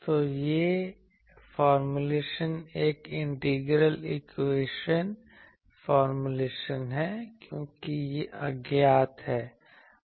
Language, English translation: Hindi, So, this formulation is an integral equation formulation, because this is unknown